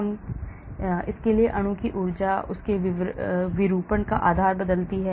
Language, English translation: Hindi, we can look at how the energy of the molecule changes based on their conformation